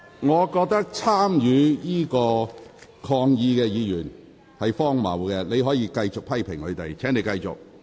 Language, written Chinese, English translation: Cantonese, 我覺得參與抗議的議員是荒謬的，你可以繼續批評他們。, I consider Members who participated in the protest ridiculous . You can continue to criticize them